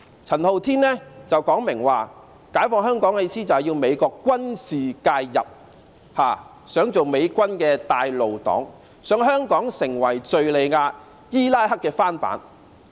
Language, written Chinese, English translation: Cantonese, 陳浩天曾明言，解放香港的意思是要美國軍事介入，想當美軍的"帶路黨"，想香港成為敘利亞、伊拉克的翻版。, Andy CHAN once stated clearly that liberating Hong Kong means inviting military intervention from the United States . His intention is to act as an usher for the American army and turn Hong Kong into a duplicate of Syria and Iraq